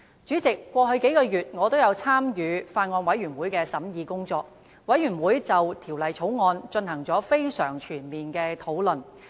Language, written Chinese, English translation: Cantonese, 主席，過去數個月，我也有參與法案委員會的審議工作，法案委員會就《條例草案》進行了非常全面的討論。, President over the last few months I have taken part in the scrutiny work of the Bills Committee which has conducted most thorough discussions on the Bill